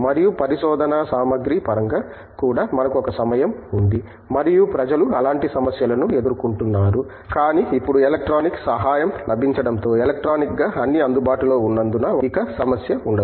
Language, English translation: Telugu, And, in terms of research materials also we there was a time and people face such problems, but now with the emergence of electronic help available in materials being available electronically that is no more a problem